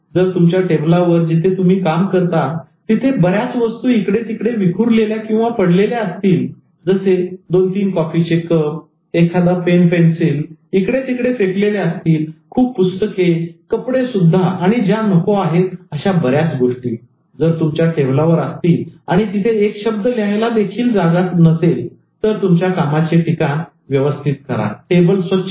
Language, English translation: Marathi, If on your table where you are working, so many things are lying around, the two, three coffee cups and then pens, pencil thrown around, so many books, even dress, and then all unwanted things on your table, and there is no space to even write a small thing, unclutter the workspace